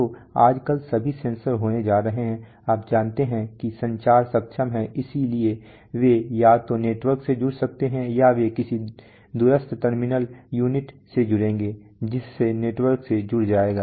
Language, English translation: Hindi, So nowadays sensors are all going to be, you know communication enabled so they can be either connect to networks or they will connect to some remote terminal unit, so which will connect to network